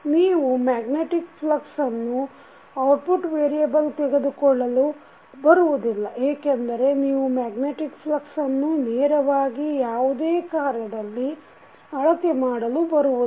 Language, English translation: Kannada, You can not take the magnetic flux as a output variable because you cannot measure the magnetic flux directly using any operation